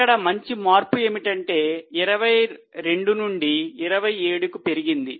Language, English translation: Telugu, There has been a good change from 22 it has improved to 27